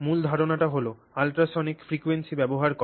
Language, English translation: Bengali, And the main idea there is to use this, you know, ultrasonic frequency